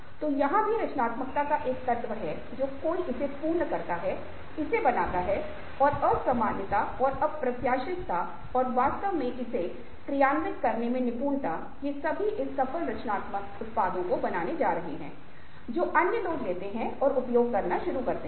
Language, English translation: Hindi, so here is also an element of creativity: somebody perfects it, makes it happen, and the unusualness and the unpredictability and the skill involved in actually executing it, all these going to making this successful, creative products which other people take up on some making use of